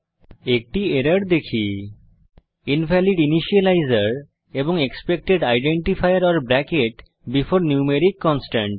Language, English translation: Bengali, We see an error Invalid initializer and Expected identifier or bracket before numeric constant